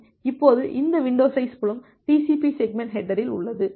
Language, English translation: Tamil, Now, we have this window size field in the TCP segment header